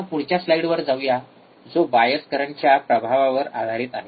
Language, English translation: Marathi, Now, let us go to the next one next slide, which is your effect of bias current